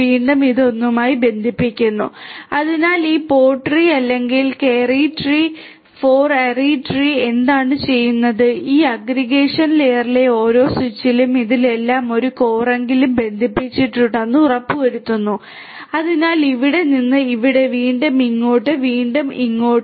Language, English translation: Malayalam, Again this one is going to be connected to this one it will be connected to this one and so on and so forth this is going to happen And so, what this pod tree or the K ary or the 4 ary tree does is that it ensures that every switch in this aggression layer is connected to at least one core in all of these so, from here to here, again here to here, again here to here and so on